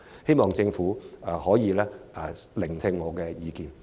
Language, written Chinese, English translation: Cantonese, 希望政府能聆聽我的意見。, I hope the Government will heed my views